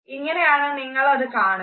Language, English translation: Malayalam, That is how you can see it